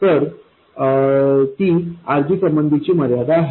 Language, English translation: Marathi, So that is the constraint on RG